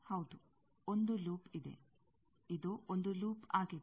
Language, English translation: Kannada, Yes, one loop is, this one is a loop